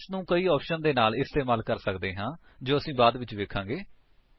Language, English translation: Punjabi, ls can be used with many options which we will see later